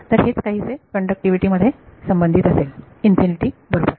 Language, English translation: Marathi, So, that is a what conductivity will be associate with it infinity right